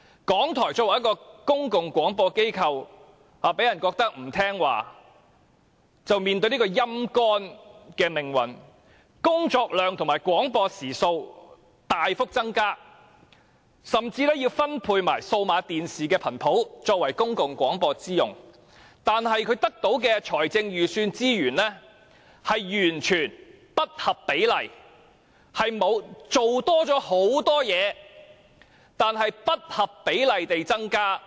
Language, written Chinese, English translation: Cantonese, 港台作為公共廣播機構，被人感覺不聽話便面對被"陰乾"的命運，工作量和廣播時數大幅增加，甚至分配了數碼電視頻譜作為公共廣播之用，但港台得到的財政預算資源卻完全不合比例，雖然工作多了很多，但資源卻不合比例地增加。, RTHK being a public broadcaster faces the fate of being dried up as it gives people the impression of being disobedient . Its workload and broadcasting hours have increased substantially and even the digital television spectrum has been allocated for public broadcasting but the budgetary resources for RTHK are utterly disproportionate . Despite a much heavier workload the increase of resources is disproportionate